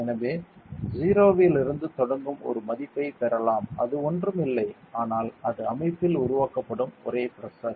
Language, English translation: Tamil, So, that we can get a value that starts from 0 so it is nothing, but it is the only pressure that is build up inside the system